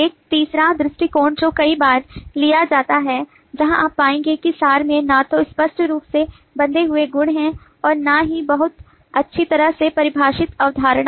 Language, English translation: Hindi, a third approach which at times is taken is where you will find that abstractions neither have a clear bounded properties nor a very well defined concept